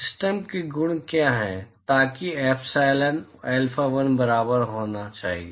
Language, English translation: Hindi, what are the properties of the system in order for epsilon 1 should be equal to alpha 1